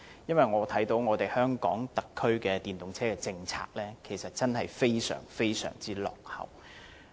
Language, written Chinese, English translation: Cantonese, 因為香港特區政府的電動車政策真的非常落後。, This is because the SAR Governments policy on EVs is really very backward